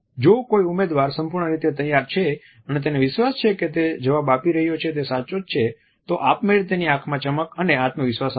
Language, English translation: Gujarati, If a candidate is fully prepared and is confident that the answer he or she is providing is correct then automatically there would be a shine and confidence in the eyes